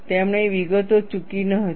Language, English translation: Gujarati, He did not miss out the details